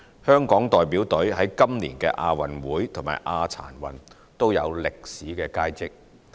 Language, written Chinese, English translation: Cantonese, 香港代表隊在今年的亞運會和亞殘運也有歷史佳績。, The Hong Kong delegation has made the best achievements in history in the Asian Games and the Asian Para Games this year